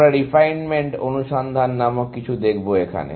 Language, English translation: Bengali, We look at something called refinement search